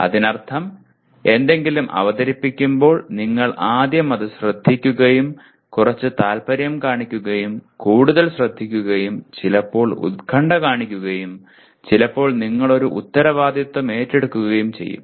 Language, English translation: Malayalam, That means when something is presented you will first listen to and show some interest, pay more attention and sometimes concern and sometimes you take a responsibility